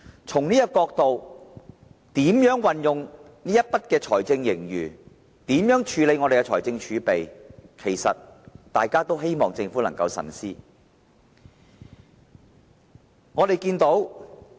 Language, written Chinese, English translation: Cantonese, 從這個角度來看，對於如何運用財政盈餘及處理財政儲備，大家也希望政府能夠慎思。, From this perspective we all expect the Government to be cautious in using the surplus and handling the fiscal reserves